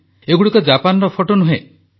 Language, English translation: Odia, These are not pictures of Japan